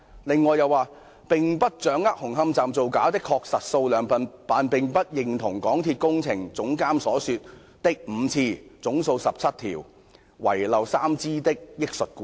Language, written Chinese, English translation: Cantonese, "中科又表示"並不掌握紅磡站造假的確實數量，但並不認同港鐵工程總監所說的5次/總數17支/遺漏3支的憶述故事"。, China Technology also said that we do not know the exact number of faulty steel bars at Hung Hom Station but disagree with the recollection of MTRCLs Projects Director that there were five occasions on which a total of 17 steels bars were found to be faulty with three of them being missed out in rectification